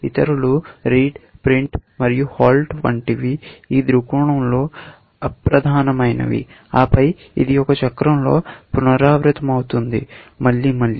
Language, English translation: Telugu, Others, like read, print and halt, are immaterial at this point of view, and then, this is repeated into a cycle, again and again